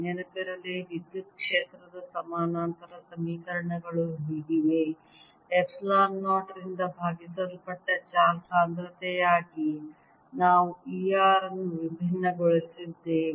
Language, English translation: Kannada, recall that the, the parallel equation for electric fields for like this, that we had divergence of e r to be the charge density divided by epsilon zero and curl of e everywhere is zero